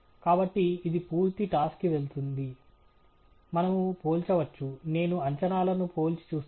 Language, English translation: Telugu, So, this has, obviously, gone for a full toss; we can compare, I will just compare the predictions